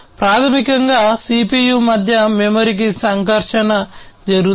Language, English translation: Telugu, So, basically the interaction happens between the CPU to the memory